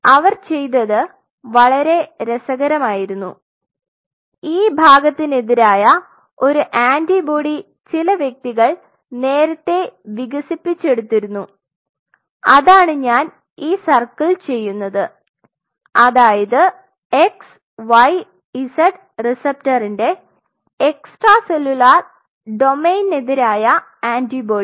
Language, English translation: Malayalam, Now, what they did was very interesting parallelly there was some individual who developed earlier than that an antibody against this part, what I am circling antibody against the extra cellular domain of that receptor domain of that x y z receptor this was already known